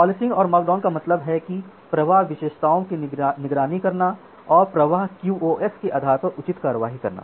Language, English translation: Hindi, So, policing and markdown means monitor the flow characteristics and take appropriate action based on the flow QoS